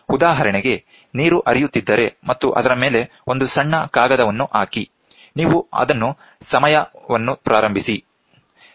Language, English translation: Kannada, For example, if the water is flowing and on top of it, you put a small paper, and you time it, ok